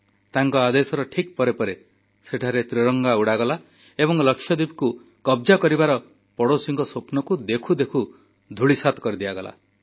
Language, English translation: Odia, Following his orders, the Tricolour was promptly unfurled there and the nefarious dreams of the neighbour of annexing Lakshadweep were decimated within no time